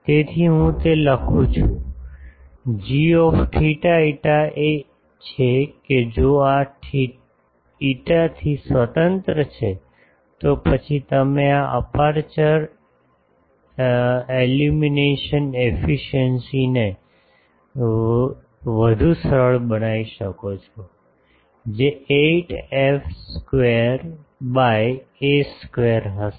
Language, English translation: Gujarati, So, I write that; g theta phi is if this is independent of phi then you can further simplify this aperture illumination efficiency that will be 8 f square by a square